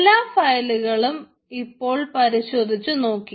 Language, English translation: Malayalam, ok, so all the files are checked now